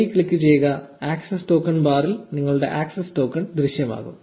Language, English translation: Malayalam, Click on ok and you will have the access token appear in the access token bar